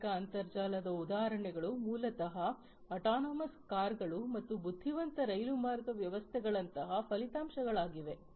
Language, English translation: Kannada, Examples of industrial internet are basically outcomes such as having autonomous cars, intelligent railroad systems and so on